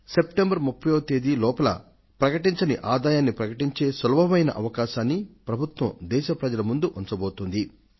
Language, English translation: Telugu, The government has presented before the country a special facility to disclose undisclosed income by the 30th of September